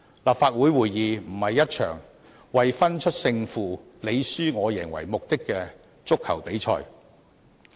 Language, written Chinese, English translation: Cantonese, 立法會會議不是一場為分出勝負、你輸我贏為目的的足球比賽。, A Council meeting is not a football match in which one team must win and other must lose